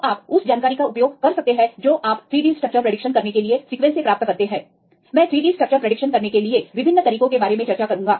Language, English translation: Hindi, So, you can utilize the information which you can obtained from the sequence to predict the 3D structures I will discuss about various methods to predict the 3D structures